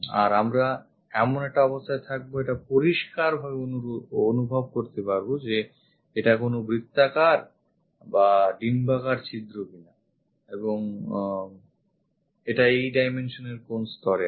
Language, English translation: Bengali, And from top view we will be in a position to sense clearly whether it is a circular hole or elliptical hole and at what level it is located these dimensions